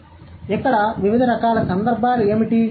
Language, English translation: Telugu, So, what are the different kinds of context here